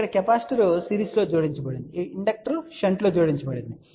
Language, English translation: Telugu, Here capacitor was added in series, inductor was added in shunt